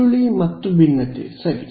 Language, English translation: Kannada, Curl and divergence ok